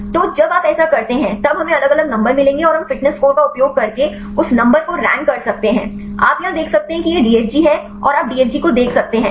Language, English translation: Hindi, So, when you do this; then we will get different numbers and we can rank that numbers using the fitness score, you can see here this is the DFG in and you can see DFG out